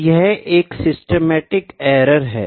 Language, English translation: Hindi, And it is a kind of a systematic error